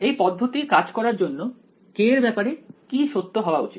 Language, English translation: Bengali, For this approach to work what must be true about k